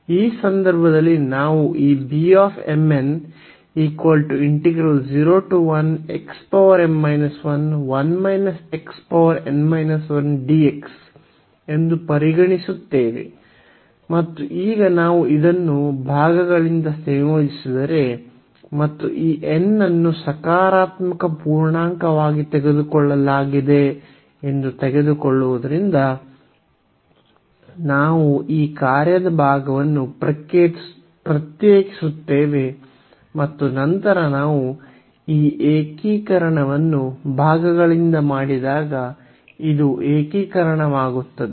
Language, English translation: Kannada, So, in this case we consider this beta m, n the given integral and now, if we integrate this by parts and taking that this n is taken as a positive integer so, we will differentiate this part of the function and then this will be for the integration when we do this integration by parts